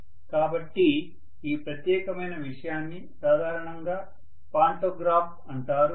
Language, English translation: Telugu, So this particular thing is generally known as the pantograph